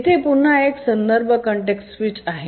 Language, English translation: Marathi, So, there is again a context switch